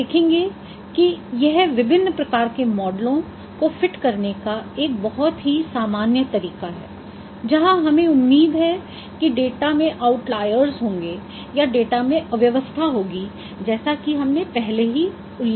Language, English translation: Hindi, We will see it's a very generic approach of fitting different kinds of models where we expect there would be outlayers in the data or clutter in the data as we mentioned earlier